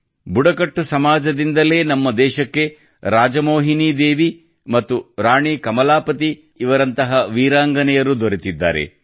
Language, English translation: Kannada, It is from the tribal community that the country got women brave hearts like RajMohini Devi and Rani Kamlapati